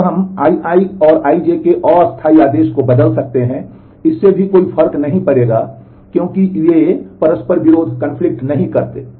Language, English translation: Hindi, Then we can interchange the temporal order of I i and I j, that will also not make a difference, because they do not conflict